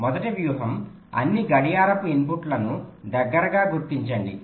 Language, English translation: Telugu, the first strategy says: locate all clock inputs close together